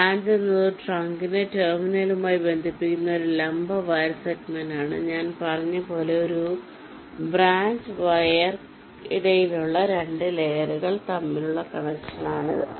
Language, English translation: Malayalam, branch is a vertical wire segment that connects a trunk to a terminal and, as i said, via is a connection between two layers, between a branch wire, between a trunk wire